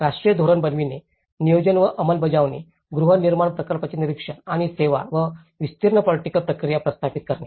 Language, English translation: Marathi, The national policy making, the planning and implementation, monitoring of housing projects and the managing of the services and wider political processes